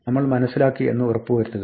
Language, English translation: Malayalam, Just be sure that we understand